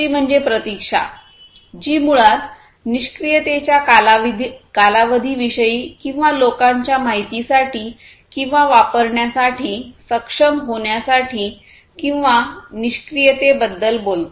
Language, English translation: Marathi, Second is the waiting the waiting time, which is basically talking about the period of inactivity or people for material or information to arrive or to be able to use